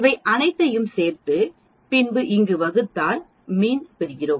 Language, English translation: Tamil, We add all these and divide and then we get the mean